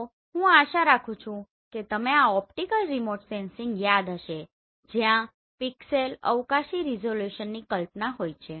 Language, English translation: Gujarati, So I hope you remember this optical remote sensing where you have concept of pixel, spatial resolution